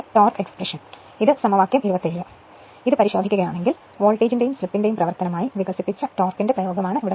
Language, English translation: Malayalam, So, if you if you look into equation 27, is the expression for the torque developed as a function of voltage and slip right